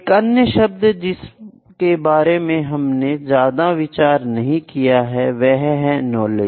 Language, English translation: Hindi, There is another term that I will not discuss more that is the knowledge